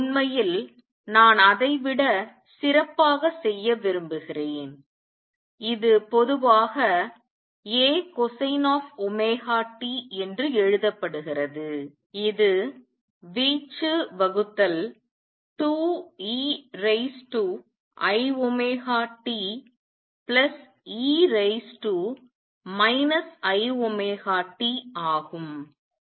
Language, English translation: Tamil, In fact, I want to do better than that; this is usually written as A cosine of omega t which is amplitude divided by 2 e raise to i omega t plus e raise to minus i omega t